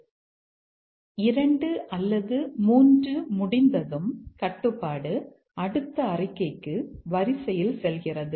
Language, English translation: Tamil, But after 2 and 3 complete, 2 or 3 complete, the control goes to the next statement in sequence